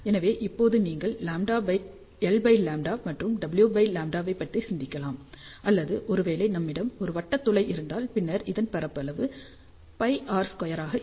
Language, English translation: Tamil, So, now, you can think about L by lambda and W by lambda; or if we have a circular aperture then area will be pi r square